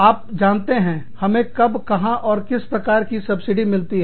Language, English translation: Hindi, You know, how, where we get, what kind of subsidies